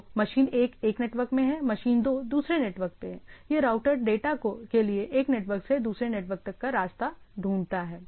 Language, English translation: Hindi, So, one is machine 1 is one network, the machine 2 is in other network this router finds the path from this to this